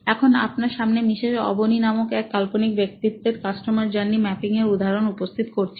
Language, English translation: Bengali, So, here is an example of a customer journey map of fictional personality called Mrs Avni, okay